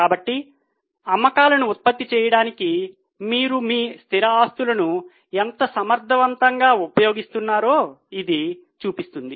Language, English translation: Telugu, So, it shows how efficiently you are utilizing your fixed assets to generate sales